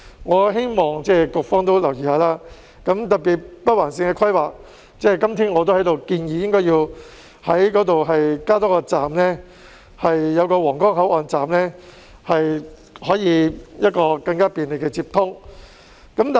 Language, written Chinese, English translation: Cantonese, 我希望局方留意，特別是就北環綫的規劃，我今天也在這裏建議，應該在那裏加設一個皇崗口岸站，以提供更便利的接通。, I would like to draw the Bureauxs attention particularly to the planning of the Northern Link . In that regard I am suggesting here today that a Huanggang Port Station should be added to provide a more convenient connection